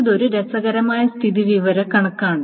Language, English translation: Malayalam, So this is kind of an interesting statistic